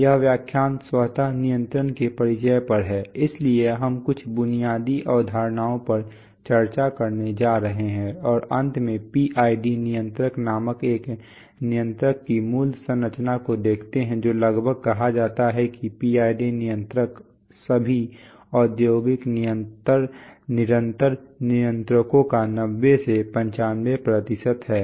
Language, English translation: Hindi, This lecture is on introduction to automatic control, so we are going to discuss some basic concepts and finally look at the basic structure of a controller called the PID controller which is almost, it is said that 90 95% of all industrial continuous controllers are PID controllers